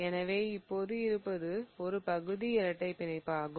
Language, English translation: Tamil, So, what I have is a partial double bond